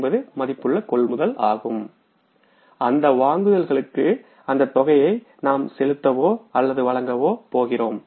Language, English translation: Tamil, This is 35,450 worth of the purchases we are going to pay for or disverse the amount for those purchases